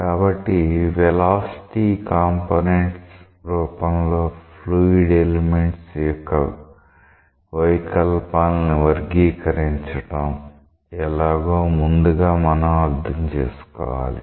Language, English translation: Telugu, So, we must first understand that how to characterize deformation of fluid elements in terms of the velocity components